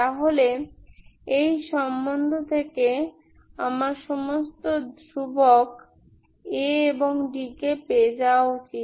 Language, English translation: Bengali, So from this relation I should get all my constants A and d ks